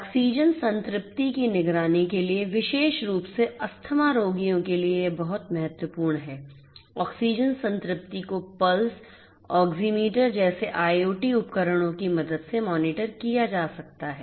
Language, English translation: Hindi, For oxygen saturation monitoring, particularly for asthma patients this is very important, oxygen saturation can be monitored with the help of IoT devices such as Pulse Oxiometry